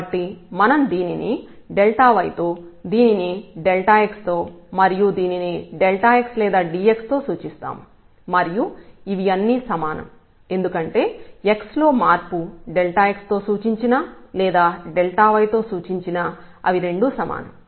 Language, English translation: Telugu, So, this is we have denoted delta y and this delta x and delta or dx they are the same because change in the x whether we denote by this delta x or delta y they are the same